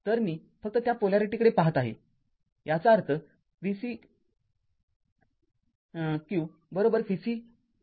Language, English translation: Marathi, So, I am just looking at that polarity; that means, v cq is equal to v c 2 0 minus v c 1 0